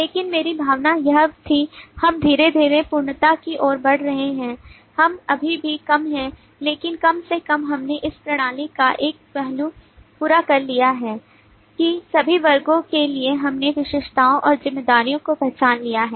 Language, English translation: Hindi, but my feeling was that we are slowly inching towards completeness we are still low, but at least we have completed one aspect of the system that for all classes we have identified the attributes and the responsibility